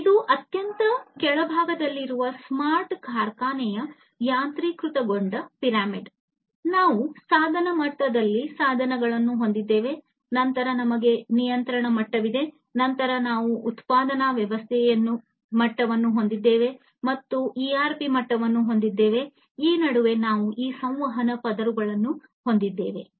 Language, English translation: Kannada, So, this is the automation pyramid of a smart factory at the very bottom, we have the devices this is the device level, then we have the control level, then we have the manufacturing system level, and the ERP level in between we have all these different communication layers